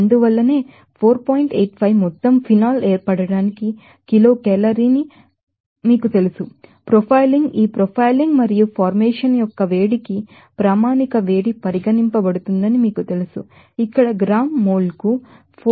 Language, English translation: Telugu, 85 you know kilocalorie for the formation of phenol you know profiling will be regarded as standard heat of formation for this profiling and heat of formation here is you know 4